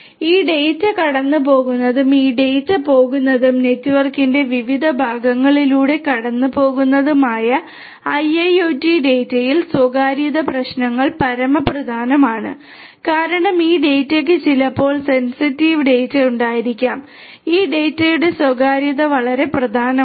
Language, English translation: Malayalam, Privacy issues are paramount in IIoT data where this data going through and where this data is going and through which different parts of the network it is going through depending on that because, this data sometimes will have sensitive data the privacy of this data are very important